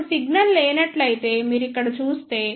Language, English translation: Telugu, Now, if you see here if the signal is absent